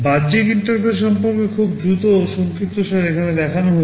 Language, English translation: Bengali, Regarding the external interfaces a very quick summary is shown here